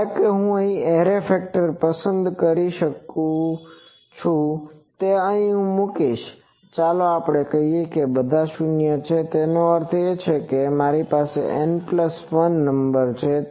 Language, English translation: Gujarati, Suppose I choose the array factor to be that I will place let us say that all the 0s; that means, sorry I have an N plus 1 number